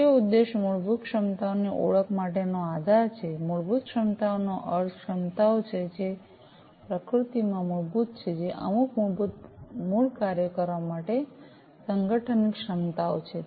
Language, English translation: Gujarati, The key objectives are basis for the identification of fundamental capabilities, fundamental capabilities means the capabilities, which are fundamental in nature, which are the abilities of the organization to perform certain basic core functions